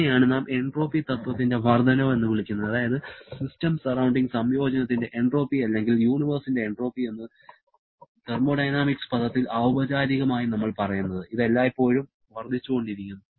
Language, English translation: Malayalam, This is what we call the increase in entropy principle that is increase sorry the entropy of the system surrounding combination or entropy of the universe is what we tell in formal thermodynamics term, this always increasing